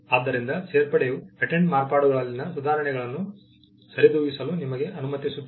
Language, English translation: Kannada, So, the patent of addition, allows you to cover improvements in modifications